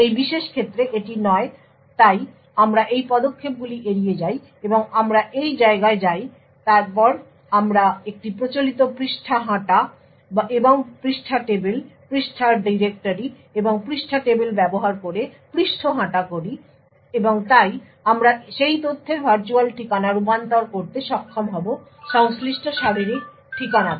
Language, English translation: Bengali, In this particular case it is no so we skip this steps and we go to this place then we perform a traditional page walk and page table, page walk using the page directories and page tables and therefore we will be able to convert the virtual address of that data to the corresponding physical address